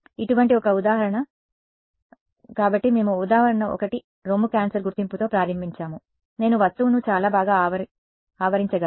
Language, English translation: Telugu, An example where like here; so, we started with example 1 breast cancer detection, I could surround the object very good